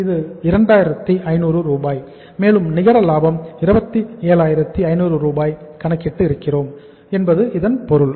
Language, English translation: Tamil, This is 2500 and it means the net profit we have calculated here is that is 27,500